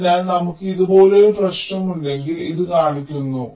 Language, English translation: Malayalam, so this shows that if we have a problem like this